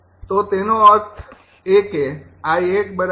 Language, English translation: Gujarati, so that means it is one